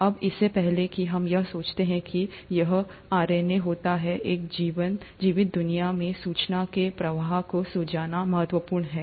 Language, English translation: Hindi, Now before I get to why we think it would have been RNA, it's important to understand the flow of information in a living world